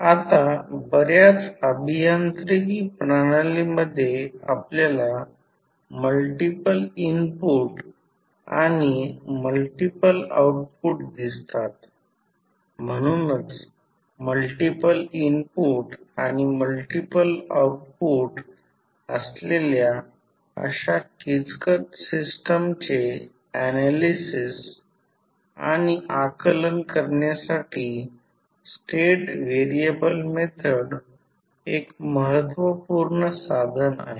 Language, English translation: Marathi, Now, since many engineering system we see have multiple input and multiple outputs, so that is why the state variable method is very important tool in analysing and understanding such complex systems which have multiple input and multiple outputs